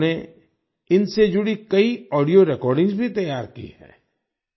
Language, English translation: Hindi, He has also prepared many audio recordings related to them